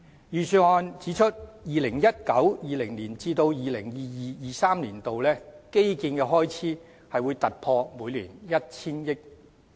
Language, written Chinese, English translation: Cantonese, 預算案指出 ，2019-2020 年度至 2022-2023 年度的基建開支將突破每年 1,000 億元。, In the Budget it is pointed out that the annual expenditure on infrastructure projects from 2019 - 2020 to 2022 - 2023 will exceed 100 billion